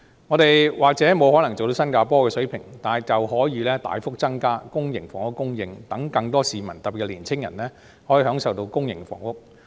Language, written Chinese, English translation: Cantonese, 香港或許無法做到新加坡的水平，但卻可以大幅增加公營房屋的供應，讓更多市民，特別是年青人可以享受到公營房屋。, Hong Kong may not be able to ahcieve the level of Singapores but we can increase the supply of public housing substantially so that more people in particular young people may enjoy public housing